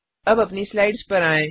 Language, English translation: Hindi, Now switch back to our slides